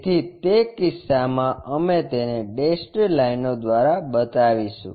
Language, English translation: Gujarati, So, in that case we will show it by dashed lines